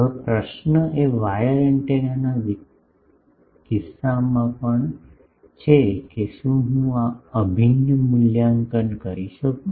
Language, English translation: Gujarati, Now, the question is as in case of wire antennas also that can I evaluate this integral